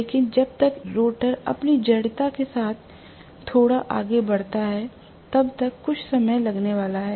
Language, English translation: Hindi, But by the time the rotor moves even slightly because of its inertia, it is going to take a while